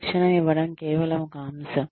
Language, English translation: Telugu, Imparting training is just one aspect